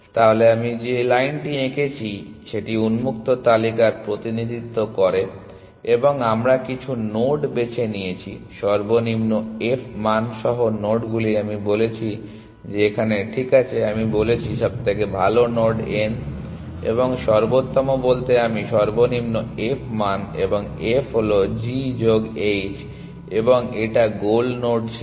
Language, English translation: Bengali, So, this line that I have drawn represents open list and we picked some nod, nodes with the lowest f value have I said that here, ok I have said best node n and by best I mean the lowest f value and f is g plus h and we it was not the goal nod